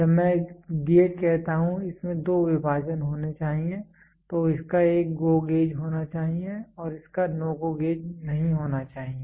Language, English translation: Hindi, When I say gauge it should have two divisions it should have a GO gauge it should have a NO GO gauge